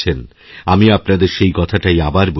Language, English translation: Bengali, I am reiterating the same, once again